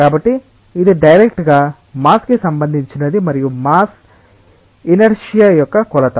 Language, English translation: Telugu, So, it is directly related to the mass and mass is a measure of inertia